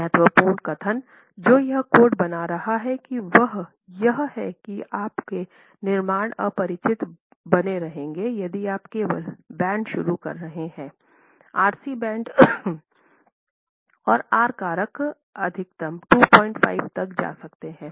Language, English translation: Hindi, So this is important statement that this code is making is your constructions will remain unreinforced if you are only introducing bands, RC bands and the R factors maximum can go up to 2